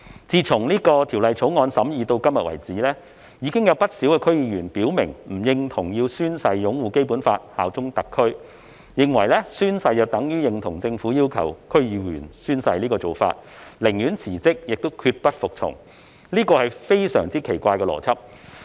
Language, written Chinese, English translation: Cantonese, 自《條例草案》審議至今，已有不少區議員表明不認同要宣誓擁護《基本法》、效忠特區，認為宣誓等於認同政府要求區議員宣誓的做法，寧可辭職亦決不服從，這是非常奇怪的邏輯。, Since the scrutiny of the Bill many DC members have expressed disagreement about the need to swear to uphold the Basic Law and swear allegiance to HKSAR . They considered the taking of oath an endorsement of the Governments request for DC members to take an oath and would rather quit than submit which is a strange logic